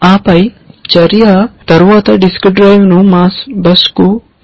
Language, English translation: Telugu, And then the action is, then assigned the disk drive to the mass bus